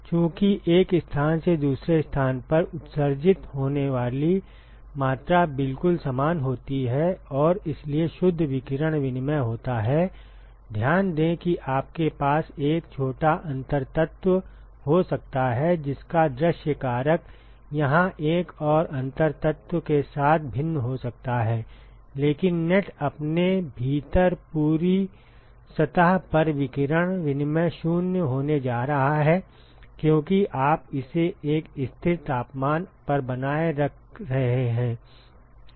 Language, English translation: Hindi, Because the amount that is emitted from one location to the other location is exactly the same and so, the net radiation exchange so, note that you may have a small differential element whose view factor with another differential element here could be different, but the net radiation exchange over the whole surface within itself is going to be 0 because, you are maintaining it at a constant temperature